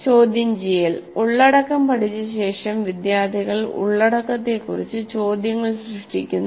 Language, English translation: Malayalam, After studying the content, students generate questions about the content